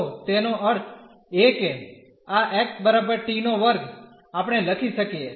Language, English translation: Gujarati, So, that means, this x is equal t square we can write